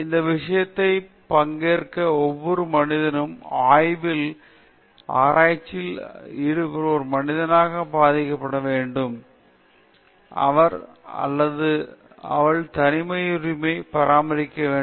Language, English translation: Tamil, Every individual human being who participates in this subject, in the study, in the research study as subject, has to be respected as a human person; his or her privacy should be maintained